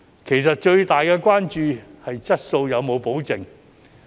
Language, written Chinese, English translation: Cantonese, 其實，最大的關注是質素有否保證。, In fact the major concern is whether quality can be assured